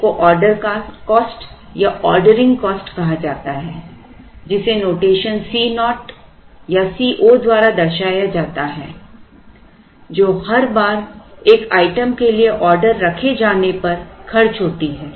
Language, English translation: Hindi, One is called order cost or ordering cost which is denoted by the notation C naught or C 0 or C o order cost which is incurred every time an order is placed for an item